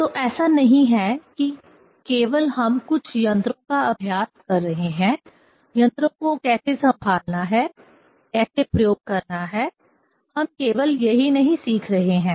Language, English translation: Hindi, So it is not that only just we are practicing some instruments, how to handle the instruments, how to do the experiment; we are not only learning that one